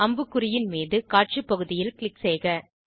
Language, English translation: Tamil, Click on the Display area above the arrow